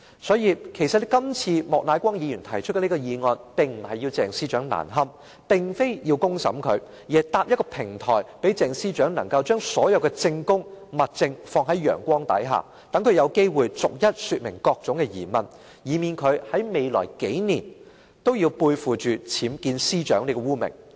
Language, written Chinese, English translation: Cantonese, 所以，其實今次莫乃光議員提出這項議案，並非要鄭司長難堪，並非要公審她，而是搭建一個平台，讓鄭司長把所有的證供和物證放在陽光之下，讓她有機會逐一說明各種疑問，以免她在未來數年的任期內背負"僭建司長"這個污名。, For this reason Mr Charles Peter MOK moved this motion not for the purpose of embarrassing Ms CHENG or putting her on public trial . Rather he seeks to set up a platform that enables Ms CHENG to place all testimonies and evidence under the sun so that she will be able to respond to all the queries one by one lest she should bear such a notorious name as Secretary for Justice UBWs during her tenure in the coming years